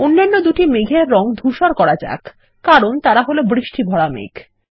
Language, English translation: Bengali, Lets color the other two clouds, in gray as they are rain bearing clouds